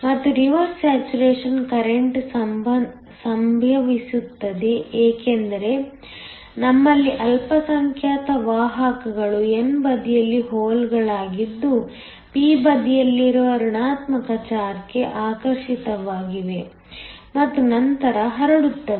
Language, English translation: Kannada, And, the reverse saturation current happens because we have minority carriers that are holes on the n side get attracted to the negative charge on the p side and then diffuse